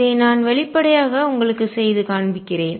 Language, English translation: Tamil, Let me do this explicitly and show it to you